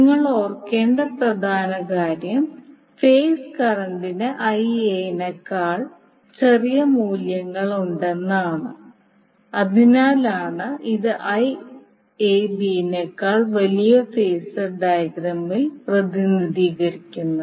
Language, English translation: Malayalam, Now important thing you need to remember that the phase current is having value smaller than Ia that is why it is represented in the phasor diagram Ia larger than Iab